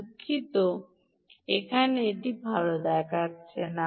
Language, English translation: Bengali, sorry, here it dosnt look good